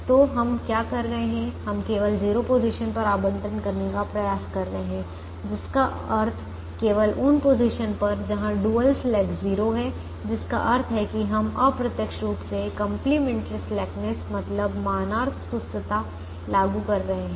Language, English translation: Hindi, so what we are doing is we are trying to make allocations only in zero positions, which means only in positions where the dual slack is zero, which means we are indirectly applying complimentary slackness